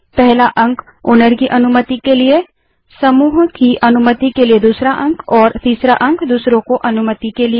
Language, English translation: Hindi, The first digit stands for owner permission, the second stands for group permission, and the third stands for others permission